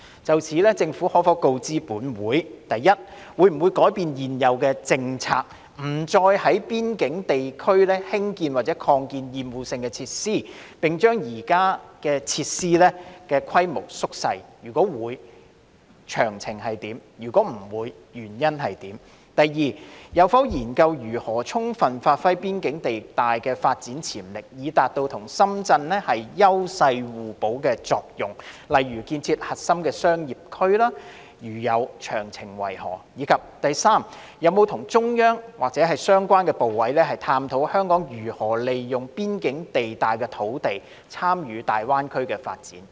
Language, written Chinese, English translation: Cantonese, 就此，政府可否告知本會：一會否改變政策，不再在邊境地帶興建或擴建厭惡性設施，並將現有設施縮小規模；如會，詳情為何；如否，原因為何；二有否研究可如何充分發揮邊境地帶的發展潛力，以達到與深圳"優勢互補"的作用，例如建設核心商業區；如有，詳情為何；及三有否與中央及相關部委，探討香港可如何利用邊境地帶土地，參與大灣區的發展？, In this connection will the Government inform this Council 1 whether it will change its policy by ceasing the construction or expansion of obnoxious facilities in the border zone and downsizing the existing facilities; if so of the details; if not the reasons for that; 2 whether it has studied how the development potential of the border zone can be fully realized so as to achieve complementarity of advantages with Shenzhen such as by establishing a core business district; if so of the details; and 3 whether it has explored with the Central Authorities and the relevant ministries how Hong Kong may utilize the land in the border zone in its participation in the development of the Greater Bay Area?